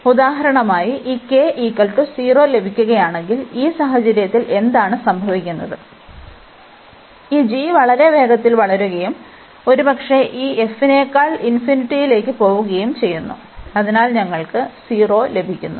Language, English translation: Malayalam, Further if we get for example this k to be 0, so in this case what is happening that means, this s this g is growing much faster and perhaps going to infinity than this f x, so we got this 0